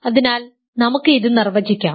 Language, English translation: Malayalam, So, let us go ahead and define this